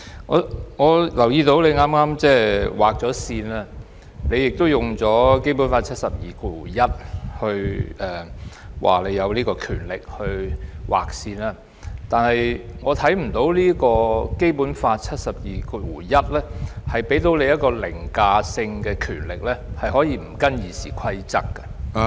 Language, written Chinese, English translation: Cantonese, 我留意到你剛才已劃線，並指《基本法》第七十二條第一項賦予你權力劃線，但我卻看不到《基本法》第七十二條第一項賦予你有凌駕性的權力，可以不依照《議事規則》......, I noted that just now you already set a time limit for the debate and stated that you were empowered by Article 721 of the Basic Law to set a time limit for debates . But I fail to see that Article 721 of the Basic Law confers on you an overriding power to disregard the Rules of Procedure